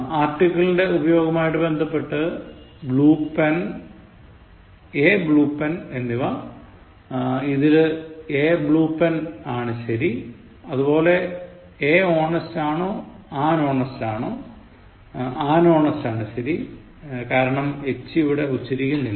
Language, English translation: Malayalam, And with regard to the use of article blue pen/a blue pen; a blue pen is the correct form; and similarly, whether it is a or an honest; it is an honest, because a is silent here